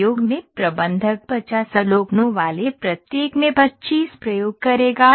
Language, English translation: Hindi, In experiment manager will conduct 25 experiments each having 50 observations